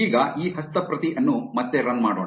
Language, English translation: Kannada, Now, let us try to run this script again